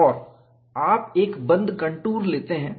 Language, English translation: Hindi, We took a arbitrary contour